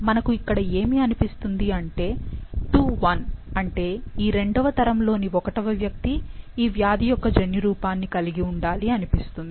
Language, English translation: Telugu, So, it seems that individual II 1, that is this individual, should be carrying the genotype for the disease